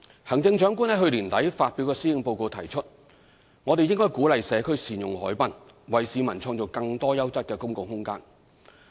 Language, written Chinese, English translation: Cantonese, 行政長官在去年年底發表的施政報告提議，我們應鼓勵社區善用海濱，為市民創造更多優質的公共空間。, As the Chief Executive pointed out in her Policy Address at the end of last year we should encourage the community to make better use of the harbourfront so that more quality public space will be available for public enjoyment